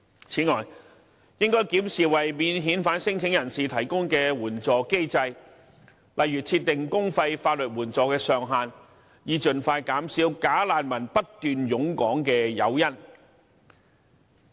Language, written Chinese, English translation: Cantonese, 此外，應要檢視為免遣返聲請人提供的援助機制，例如設定公費法律援助的上限，以盡快減少"假難民"不斷湧港的誘因。, Moreover support mechanism for non - refoulement claimants should also be reviewed such as imposing a cap on the publicly - funded legal assistance to quickly reduce the incentives for bogus refugees to flood into Hong Kong